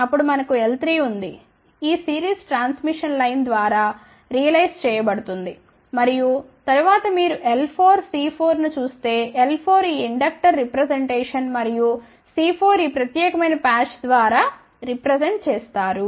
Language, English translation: Telugu, Then we have a L 3 which is realized by this series transmission line and then L 4 C 4 you can see that L 4 is this inductor representation and C 4 is represented by this particular patch